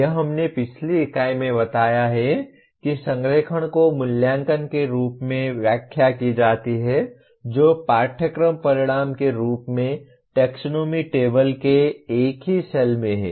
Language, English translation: Hindi, This we have explained in the previous unit saying that alignment is interpreted as the assessment being in the same cell of the taxonomy table as the course outcome